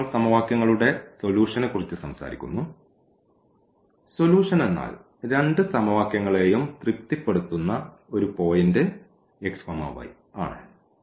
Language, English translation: Malayalam, Now, talking about the solution of the system of equations; so solution means a point x y which satisfy satisfies both the equations